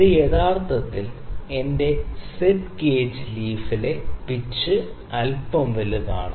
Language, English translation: Malayalam, This actually the pitch on the leaf of my thread gauge is little larger